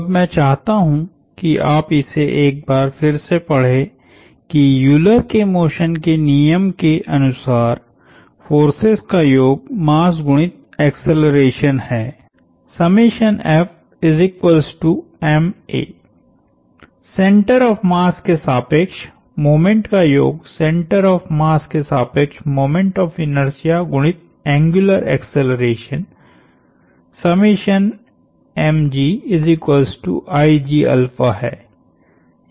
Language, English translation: Hindi, Now I would want you to read to it once more that the Euler’s laws of motion, which say sum of masses is mass times acceleration, sum of moments about the center of mass is the mass is a center of moment of inertia about the center of mass times the angular acceleration